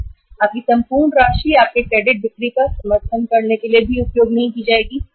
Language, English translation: Hindi, Your entire amount cannot use for supporting your credit sales